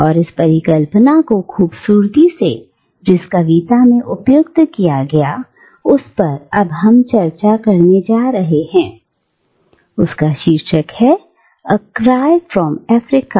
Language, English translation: Hindi, And this eclecticism is beautifully brought out in the poem that we are now going to discuss, the poem, which is titled, “A Far Cry from Africa”